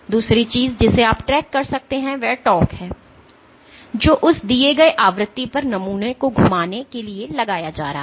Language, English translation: Hindi, The second thing that you can track is the torque that is being applied for rotating the sample at that given frequency